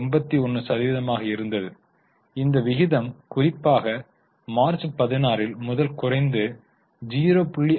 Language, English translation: Tamil, 81, the ratio has fallen particularly from March 16 and then it has become stagnant